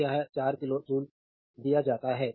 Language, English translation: Hindi, So, it is given 4 kilo joule